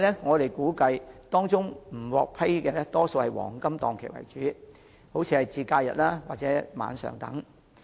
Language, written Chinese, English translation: Cantonese, 我們估計，未能獲批的申請多以黃金檔期為主，例如假日及晚上。, We reckon that most of the failed applications are targeting at prime time slots such as holidays and night - time